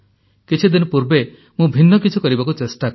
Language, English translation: Odia, A few days ago I tried to do something different